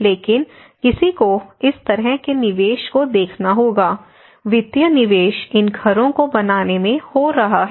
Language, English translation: Hindi, But one has to look at the kind of investment, the financial investment is going in making these houses